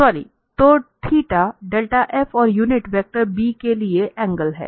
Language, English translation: Hindi, So, the theta is the angle between the del f and the unit vector b